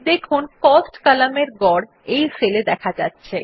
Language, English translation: Bengali, You see that the average of the Cost column gets displayed in the cell